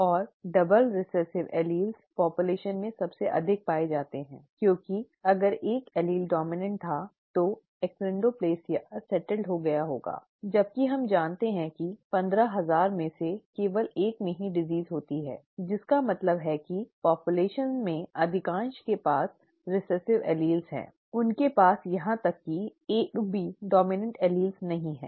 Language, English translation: Hindi, And double recessive alleles are most commonly found in the population because if one allele had been dominant, the achondroplasia would have settled whereas we know that only 1 in 15,000, are have the disease which means most in the population do not have rather they have recessive alleles they have they do not even have one of the dominant alleles